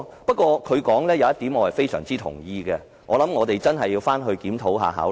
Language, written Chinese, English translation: Cantonese, 不過，他說的一點我非常同意，我想我們真的要好好檢討和考慮。, That said I very much agree to a point he made and I think we need to review and consider seriously